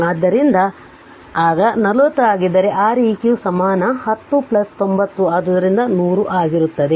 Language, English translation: Kannada, So, if then 40 then your R eq equivalent will be 10 plus 90 so 100 ohm